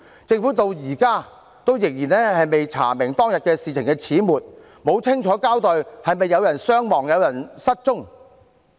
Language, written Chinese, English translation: Cantonese, 政府至今仍未查明當天事情的始末，也沒有清楚交代是否有人傷亡、有人失蹤。, The Government has yet to investigate the details of the incident or give an account of the casualties or disappearances of persons